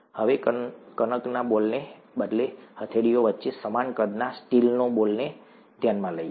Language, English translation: Gujarati, Now, instead of a dough ball, let us consider a steel ball of the same size between the palms